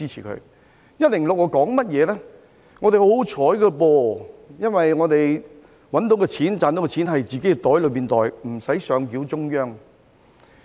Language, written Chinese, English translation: Cantonese, 香港十分幸運，因為賺取到的金錢可以自行儲起來，無須上繳中央。, Hong Kong is very lucky because it can save the money earned by itself without the need to hand it over to the Central Authorities